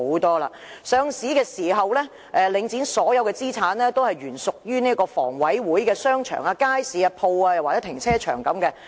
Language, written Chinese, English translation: Cantonese, 在上市時，領展的所有資產都是原屬於房屋委員會的商場、街市、商鋪或停車場等。, When Link REIT was listed all of its assets were shopping arcades markets shops or car parks and the like which were originally under the Hong Kong Housing Authority